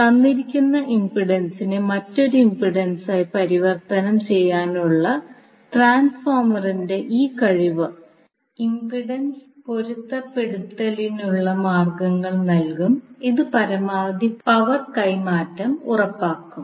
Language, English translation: Malayalam, So, now, this ability of the transformer to transform a given impedance into another impedance it will provide us means of impedance matching which will ensure the maximum power transfer